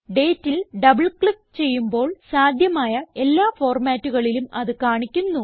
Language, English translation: Malayalam, Double clicking on the date shows all the possible formats in which the date can be displayed